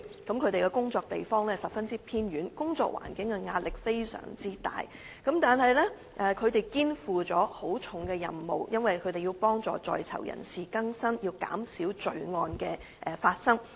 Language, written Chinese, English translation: Cantonese, 該署人員的工作地點十分偏遠，工作環境壓力很大，但卻肩負極沉重的任務，因為他們要協助在囚人士更生，減少罪案發生。, CSD staff have to work under immense pressure in places located at very remote locations but they are tasked with the vital mission of helping persons in custody to rehabilitate and reducing crimes